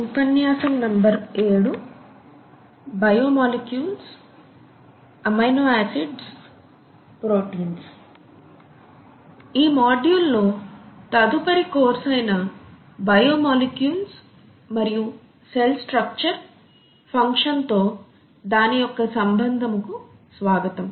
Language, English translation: Telugu, Welcome to the next lecture in this module which is on biomolecules and their relationship to cell structure and function